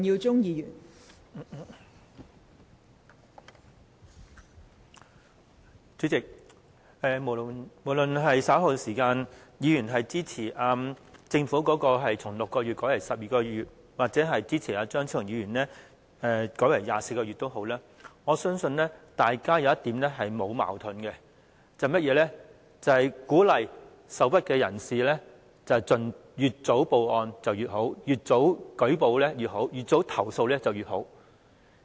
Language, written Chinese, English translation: Cantonese, 代理主席，無論議員稍後是支持政府將6個月改為12個月或支持張超雄議員改為24個月的修正案也好，我相信大家在一點上是沒有矛盾的，便是鼓勵受屈人士越早報案越好、越早舉報越好、越早投訴越好。, Deputy Chairman no matter if Members support the Governments amendment to change the period from 6 months to 12 months or Dr Fernando CHEUNGs amendment to change the period to 24 months I believe all Members will not take issue with one point that is the earlier aggrieved people are encouraged to make reports the better and the earlier complaints are lodged the better